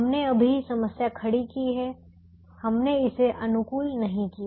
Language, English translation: Hindi, so we have just set up the problem, we have not optimized it